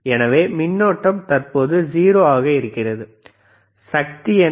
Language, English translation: Tamil, So, it is current is 0, what is the power